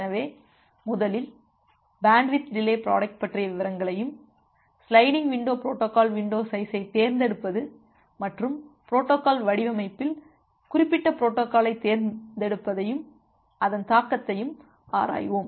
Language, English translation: Tamil, So, first we look into the details of bandwidth delay product and its implication over the selection of window size for sliding window protocol as well as the choice of choice of particular protocol in protocol designing